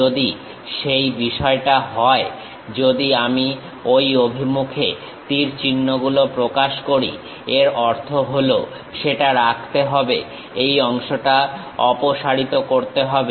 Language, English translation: Bengali, If that is the case, if I represent arrows in that direction; that means, retain that, remove this part